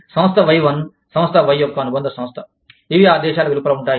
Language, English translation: Telugu, Firm Y1, is a subsidiary of Firm Y, which are situated, outside the countries